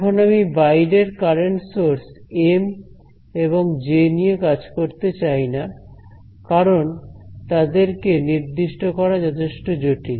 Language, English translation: Bengali, Now I do not want to deal with the external current sources M and J because, they may be very complicated to specify